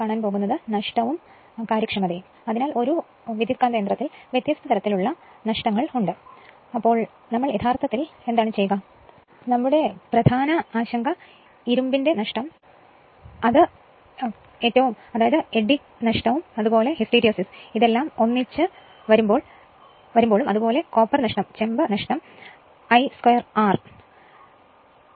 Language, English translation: Malayalam, Now, Losses and Efficiency; so, in a transformer different types of losses are there, but what we will do actually we will come our main concern will be that iron loss that is core loss that is eddy current and hysteresis are together and the copper loss that is the I square R loss in the winding resistance right